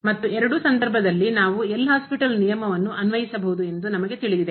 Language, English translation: Kannada, And in either case we know that we can apply the L’Hospital rule